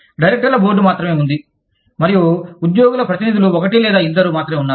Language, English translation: Telugu, There is only one board of directors, and the only one or two representatives of the employees, are there